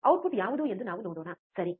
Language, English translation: Kannada, What is output let us see, alright